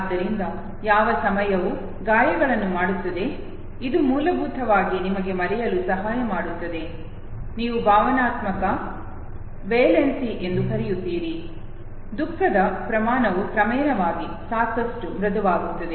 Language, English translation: Kannada, So what time does to the wounds, it basically helps you forget, what you call the emotional valency, the magnitude of the grief gradually gets soften enough okay